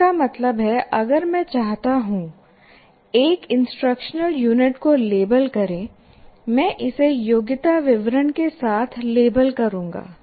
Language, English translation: Hindi, That means if I want to label an instructional unit, I will label it with the competency statement